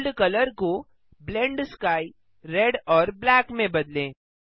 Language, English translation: Hindi, Change world colour to Blend sky Red and black